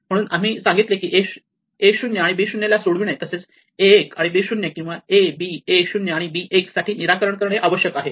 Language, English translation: Marathi, So, we said a 0 b 0 will require solved it for a 1 and b 0 or a b a 0 and b 1